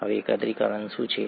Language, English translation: Gujarati, Now what is aggregation